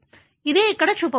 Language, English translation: Telugu, This is what is shown here